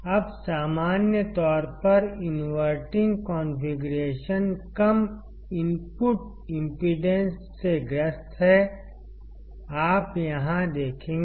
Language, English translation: Hindi, Now in general, the inverting configuration suffers from low input impedance; you will see here